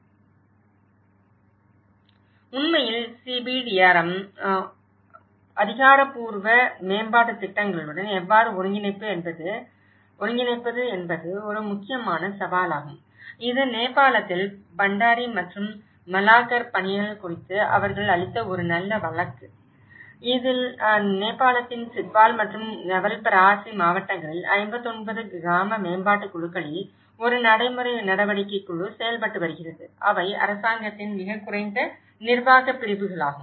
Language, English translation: Tamil, In fact, the one of the important challenges how to integrate the CBRDRM with official development planning; this is a good case which they have given about Bhandari and Malakar work on Nepal, wherein the districts of Chitwal and Nawalparasi in Nepal, there is a practical action group was working in 59 village development committees and which are the lowest administrative units of government